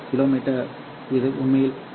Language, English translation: Tamil, This is actually around 2